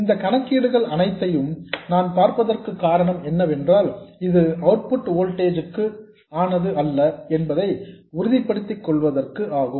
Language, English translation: Tamil, The reason I went through all of this calculation is to make sure that this is not for the output voltage